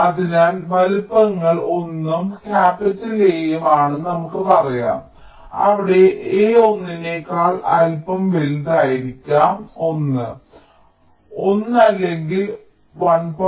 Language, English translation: Malayalam, so lets say the sizes are one and capital a, where a is a little greater than one, maybe one point one or one point two, something like that